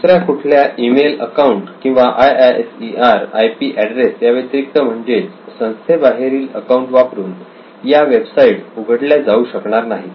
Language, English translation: Marathi, Many websites open by only IISER email account, not by other email account or IISER IP address, so outside of the institute they cannot open it